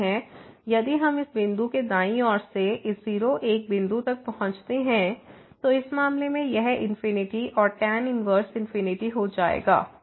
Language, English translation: Hindi, Similarly, if we approach this point from the right side of this point, then in this case this will become infinity and the tan inverse infinity